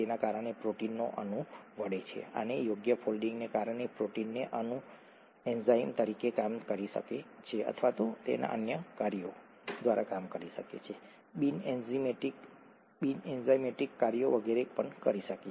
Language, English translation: Gujarati, Because of that the protein molecule folds, and because of the proper folding the protein molecule is able to act as an enzyme or even carry out its other functions, non enzymatic functions and so on